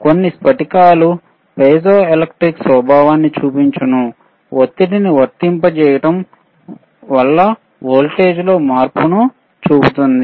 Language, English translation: Telugu, Crystals shows sSome of the crystals sourcehow piezoelectric property, applying pressure can show change in voltage